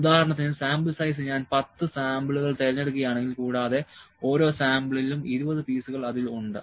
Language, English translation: Malayalam, For instance, the sample size, if I pick 10 samples and each sample has 20 pieces in it